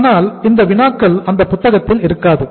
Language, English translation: Tamil, But these problems will not be available in that book